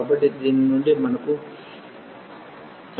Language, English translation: Telugu, So, out of this we will get x square 16